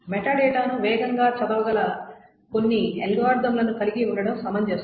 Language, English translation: Telugu, So it makes sense to have some algorithms that can read the metadata faster